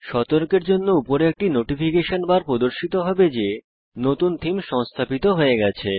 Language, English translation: Bengali, A Notification bar will appear at the top to alert you that a new theme is installed